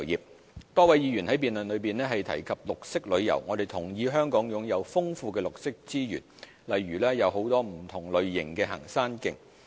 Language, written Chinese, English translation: Cantonese, 綠色旅遊多位議員在辯論中提及綠色旅遊，我們同意香港擁有豐富的綠色資源，例如有很多不同類型的行山徑。, Green tours A number of Members mentioned green tours in this debate . We agree that Hong Kong has a rich pool of green resources eg . different kinds of hiking trails